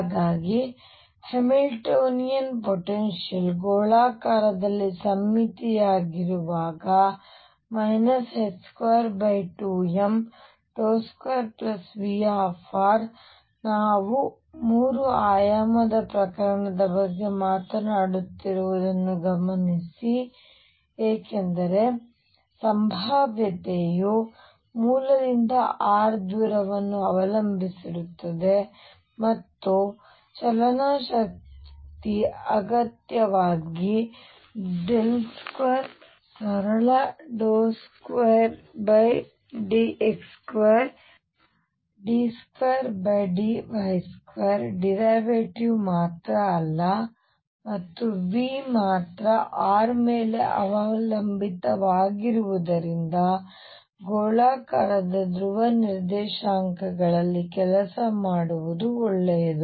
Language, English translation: Kannada, So, the Hamiltonian in such cases where the potential is spherically symmetric is minus h cross square over 2m, Laplacian plus V r notice that we are talking about a 3 dimensional case because the potential depends on r distance from the origin and therefore, the kinetic energy is necessarily as del square not a simple d 2 by d x square d 2 by d y square derivative and since V depends only on r it is good to work in spherical polar coordinates